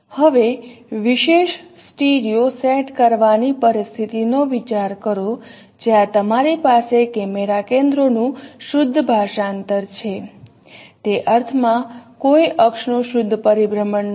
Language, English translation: Gujarati, Now consider a situation of a special kind of studio setup where you have pure translation of camera centers, pure in the sense that there is no rotation of axis